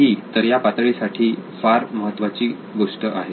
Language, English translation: Marathi, So that is very important for this stage